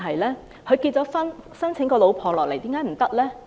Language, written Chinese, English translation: Cantonese, 他結了婚，申請太太來港，有何不對？, He was married and was applying for his wife to come to Hong Kong . What is wrong with that?